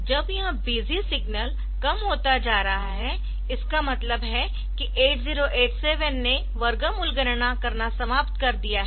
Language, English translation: Hindi, So, this is so when this busy signal is becoming low that means, 8087 has finished completing doing the square root computation